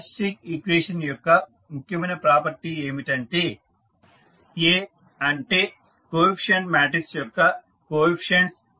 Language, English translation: Telugu, Now, the important property of characteristic equation is that if the coefficients of A that is the coefficient matrix